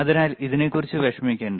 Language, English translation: Malayalam, So, do no t worry about this one